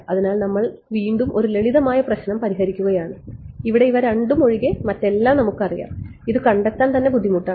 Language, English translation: Malayalam, So, we are solving a simpler problem where we know everything except these two these itself is going to be difficult